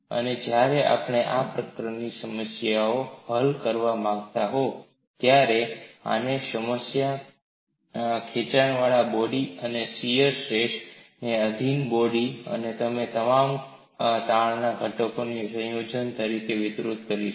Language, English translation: Gujarati, And we will extend this to a body subjected to normal stretch, a body subjected to shear stress, and a combination of all the stress components, etcetera